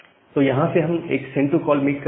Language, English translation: Hindi, So, from here we are making a send to call